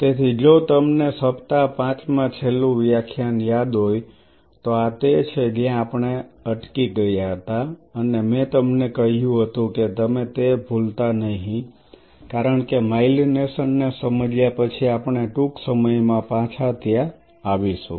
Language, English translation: Gujarati, So, if you remember in the week 5 the last lecture this is where we stopped and I told you do not lose sight of it because we will be coming back soon after a bit of a digression of understanding the myelination